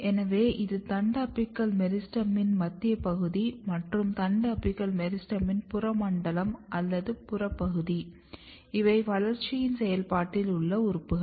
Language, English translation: Tamil, So, the central region is shoot apical meristem, but if you look in the peripheral zone or peripheral region of the shoot apical meristem, these are the organs which are under the process of development